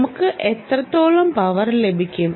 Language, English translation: Malayalam, the question is how much power